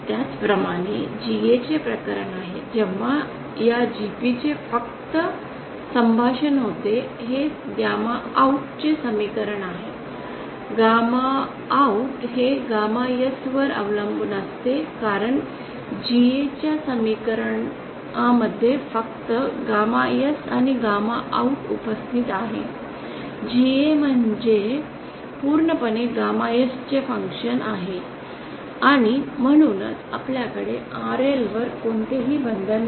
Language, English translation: Marathi, Similarly is the case for GA where just the converse of this GP takes place that is this is an expression in terms of gamma OUT gamma OUT depends on gamma S, since only gamma S and gamma OUT is present in the expression for GA this is GA is purely a function of gamma S and therefore we have no restrictions on RL